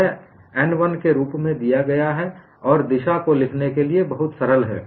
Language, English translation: Hindi, That is given as n 1 and the direction cosines are very simple to write